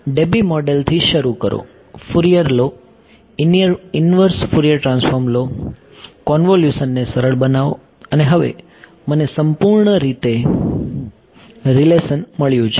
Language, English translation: Gujarati, Start by Debye model, take Fourier take the inverse Fourier transform, simplify the convolution and now I have got a relation purely in terms of E right